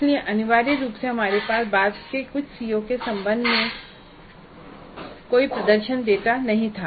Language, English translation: Hindi, So essentially we had no performance data regarding some of the later COs